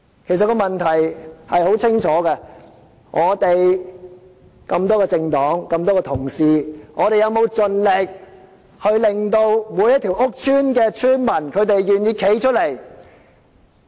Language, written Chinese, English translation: Cantonese, 其實，問題是清楚可見的，這裡有多個政黨、眾多同事，我們有否盡力令每一個屋邨的邨民願意站出來呢？, These problems are more than obvious . There are a number of political parties and many colleagues in this Chamber have we done our level best to make residents of all public housing estates to come forward?